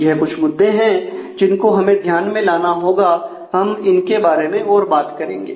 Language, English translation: Hindi, So, these are the factors that we will have to take into consideration and we will talk more about those